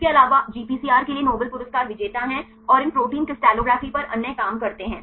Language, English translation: Hindi, Also there are Nobel Prize winners for the GPCRs right and the other works on these protein crystallography